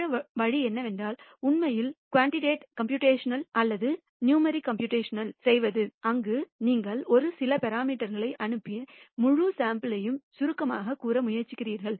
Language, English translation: Tamil, The other way of doing is to actually do quantitative computations or numerical computations, where you try to summarize the entire sample sent by a few parameters